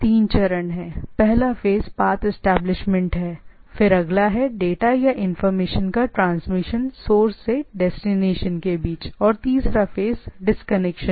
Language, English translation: Hindi, There are three phases; first one is a path establishment phase, then next is the transfer of data or information form the source station to destination and the third one is the disconnection phase